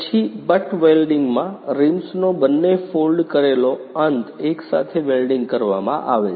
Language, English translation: Gujarati, Then in butt welding, both folded end of the rims are welded together